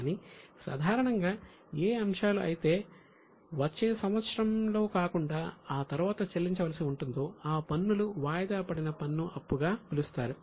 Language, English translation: Telugu, But in general, whichever items which are not to be paid in next year but can be paid beyond that, then it is called as a deferred tax liability